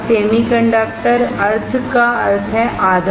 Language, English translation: Hindi, Semiconductor; semi means half